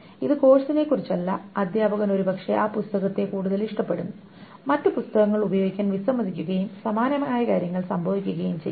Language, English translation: Malayalam, It's not about the course, then the teacher probably prefers that book much more and refuses to use the other books and similar things may happen